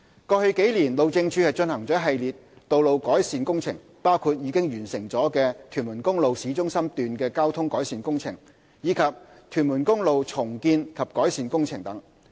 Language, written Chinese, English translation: Cantonese, 過往數年，路政署進行了一系列道路改善工程，包括已完成的屯門公路市中心段的交通改善工程，以及屯門公路重建及改善工程等。, The Highways Department HyD has conducted in the past few years a series of road improvement works including the Traffic Improvements to Tuen Mun Road Town Centre Section and the Reconstruction and Improvement of Tuen Mun Road both of which have been completed